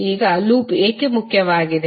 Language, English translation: Kannada, Now, why the loop is important